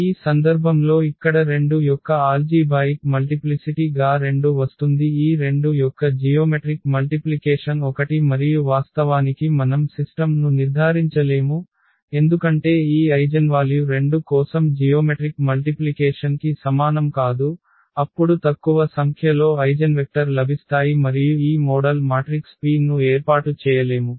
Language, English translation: Telugu, What happens in this case that here this algebraic multiplicity of 2 is 2 and it comes to be that the geometric multiplicity of this 2 is 1 and that is the point where actually we cannot diagnolize the system because geometric multiplicity is not equal to the algebraic multiplicity for this eigenvalue 2 then we will get less number of eigenvectors and we cannot form this model matrix P